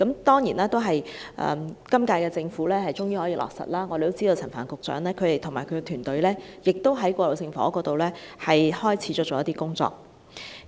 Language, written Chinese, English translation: Cantonese, 當然，今屆政府終於落實建議，我們知道陳帆局長與其團隊在過渡性房屋方面正在開始一些工作。, Certainly the current - term Administration has finally implemented this initiative . We know that some kind of work on transitional housing has been set off by Secretary Frank CHAN and his team